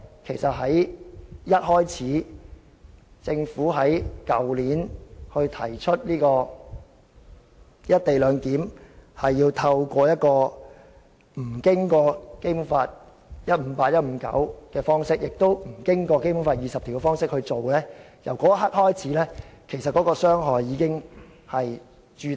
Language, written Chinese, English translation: Cantonese, 其實由政府去年一開始提出"一地兩檢"安排無須按《基本法》第一百五十八條、第一百五十九條及第二十條處理那一刻開始，傷害已經形成。, In fact from the very moment the Government proposed last year that there is no need to handle the co - location arrangement in accordance with Articles 158 159 and 20 of the Basic Law the harm has been done